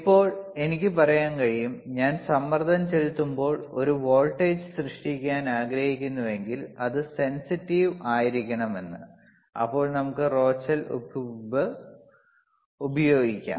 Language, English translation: Malayalam, So, now, we can say that if I want to have if I want to generate a voltage when I apply pressure and and it should be sensitive, then we can use a Rochelle salt alright